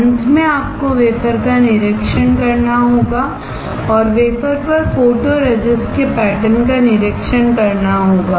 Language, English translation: Hindi, Finally, you have to inspect the wafer and inspect the pattern of photoresist on the wafer